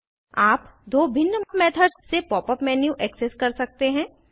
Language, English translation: Hindi, You can access the pop up menu by two different methods